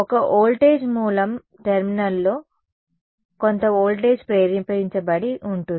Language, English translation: Telugu, A voltage source there is some voltage induced in the terminal